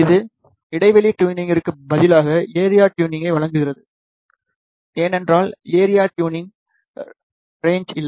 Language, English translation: Tamil, It provides the area tuning instead of gap tuning, because there is no limit on the area tuning